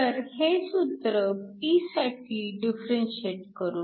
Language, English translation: Marathi, So, we can differentiate this expression for P